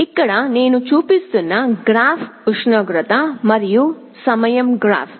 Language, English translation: Telugu, Here, the graph that I am showing is a temperature versus time graph